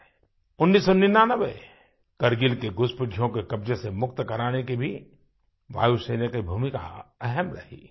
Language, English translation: Hindi, The Air Force played a very significant role in 1999 by pushing back the intruders and liberating Kargil from their clutches